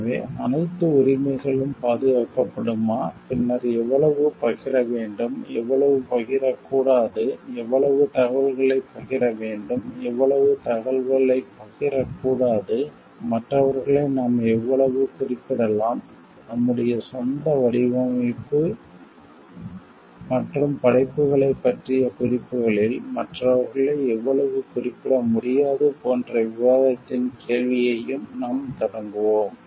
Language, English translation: Tamil, So, we will also maybe initiate a question of debate like whether which all rights can be protected, then how much to share, how much not to share so that in like inform how much information to share, how much information not to share, how much can we refer to others and how much you cannot refer to others in our own designs and reference to works